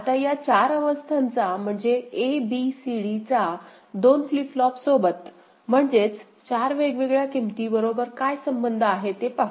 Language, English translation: Marathi, Now, so these 4 states, so a, b, c, d, they need to be associated with 2 flip flops, 4 different values ok